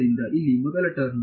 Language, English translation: Kannada, So, what will be the first